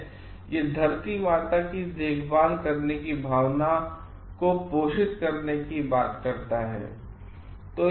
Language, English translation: Hindi, And this talks of nurturing a feeling of having care for mother earth